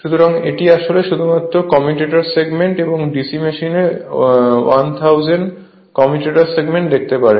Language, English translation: Bengali, So, this is actually show only two commutator segments and DC machine you can 1000 commutator segment